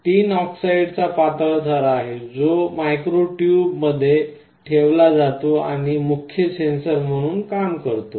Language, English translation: Marathi, There is a thin layer of tin dioxide, which is put inside the micro tubes and acts as the main sensor